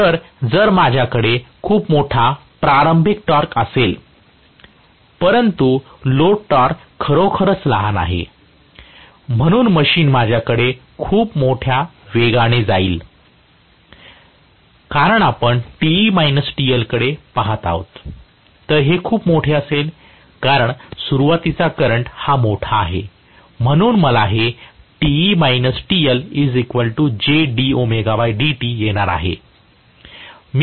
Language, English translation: Marathi, So, if I have a very large starting torque, but what I have as the load torque is really small, the machine will go into extremely large speeds, because you are going to look at Te minus TL, so this will be very large, because starting current is large, so I am going to have Te minus TL which is equal to J d omega by d t